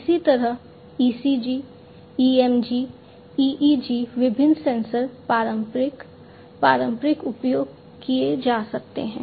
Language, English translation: Hindi, Similarly, ECG, EMG, EEG different different sensors the traditional, conventional ones could be used